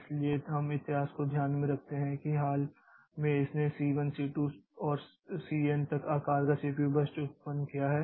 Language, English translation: Hindi, So, we take the history into consideration that in recent time so it has generated the CPU bursts of size C1, C2 and up to CN